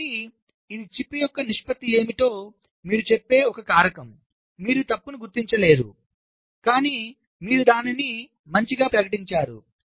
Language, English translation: Telugu, ok, so this is a factor which tells you that what is the proportion of the chip which you cannot detect a fault but you have declared it as good